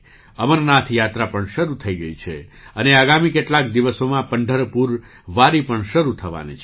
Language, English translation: Gujarati, The Amarnath Yatra has also commenced, and in the next few days, the Pandharpur Wari is also about to start